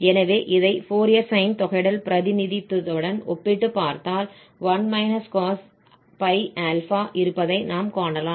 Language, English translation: Tamil, So, if we compare this with this Fourier sine integral representation, what we notice that this 1 cos